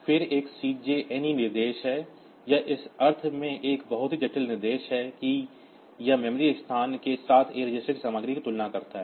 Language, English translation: Hindi, Then there is a CJNE instruction this is a very complex instruction in the sense that it compares the content of A register with the memory location